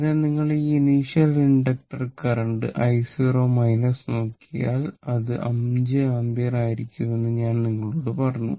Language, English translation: Malayalam, So, if you look into this if you look into this that i 0 minus that is initial inductor current I told you that it will be 5 ampere right